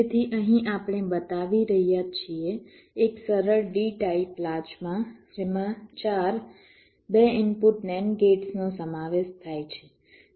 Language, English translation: Gujarati, so here we are showing a simple d type latch consists of four to input nand gates